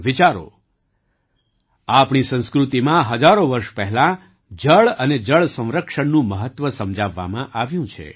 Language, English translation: Gujarati, Think about it…the importance of water and water conservation has been explained in our culture thousands of years ago